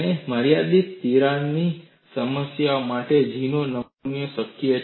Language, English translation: Gujarati, And for limited crack lengths, a constant G specimen is possible